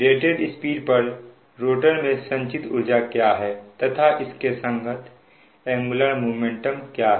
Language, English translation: Hindi, so what is the energy stored in the rotor at the rated speed and what is the your, your, what is the corresponding angular momentum